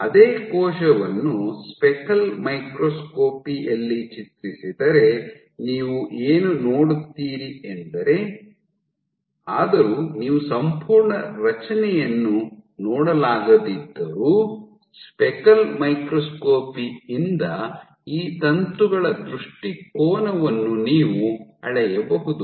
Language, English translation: Kannada, If the same cell where imaged in speckle microscopy then what you would see, though you will not see the entire structure, but you can gauge the orientation of these filaments from the speckle microscopy